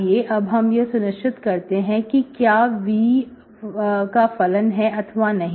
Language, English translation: Hindi, So we can verify whether it is a function of v